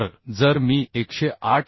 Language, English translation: Marathi, So this is becoming 108